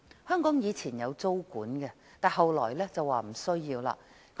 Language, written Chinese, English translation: Cantonese, 香港以往曾實施租管，後來卻認為無需要。, Tenancy control which had been implemented in Hong Kong was considered unnecessary later